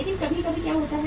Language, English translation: Hindi, But sometime what happens